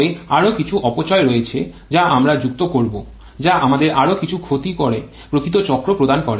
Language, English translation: Bengali, But there are further more losses which we shall be adding which leads to there are some more losses giving us this actual cycle